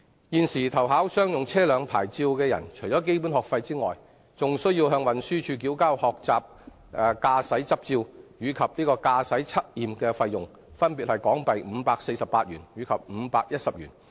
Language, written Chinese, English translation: Cantonese, 現時，凡投考商用車輛牌照者，除基本學費外，更須向運輸署繳交學習駕駛執照及駕駛測驗費用，分別為港幣548元及510元。, At present in addition to the basic fees for driving lessons applicants for commercial vehicle licenses are also required by the Transport Department to pay the fees for a Learners Driving Licence and a driving test which are HK548 and HK510 respectively